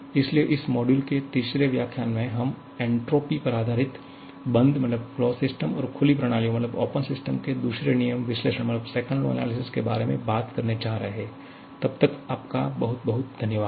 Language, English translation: Hindi, So, in the third lecture of this module, we are going to talk about the second law analysis of closed and open systems based upon the entropy, till then thank you very much